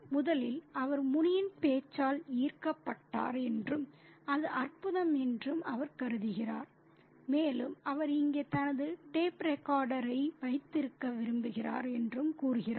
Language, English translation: Tamil, He says that firstly he is fascinated by Muni's speech and he thinks that it's wonderful and he also wishes that he had his tape recorder here